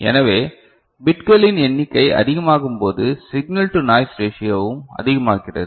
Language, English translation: Tamil, So, more the number of such bits more is the signal to noise ratio